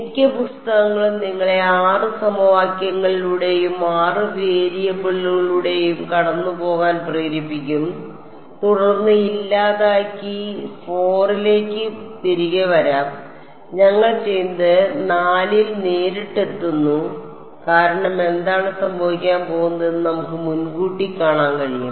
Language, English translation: Malayalam, Most of the books will make you go through 6 equations, 4 variables and then eliminate and come back to 4 what we are doing is directly arriving at 4 because we can anticipate what is going to happen ok